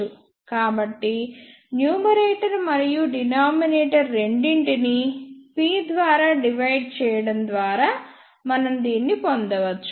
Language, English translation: Telugu, So, we can ah get this by dividing both numerator and denominator by p